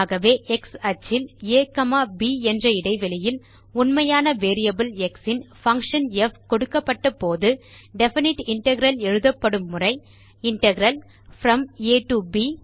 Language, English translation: Tamil, So, given a function f of a real variable x and an interval a, b of the real line on the x axis, the definite integral is written as Integral from a to b f of x dx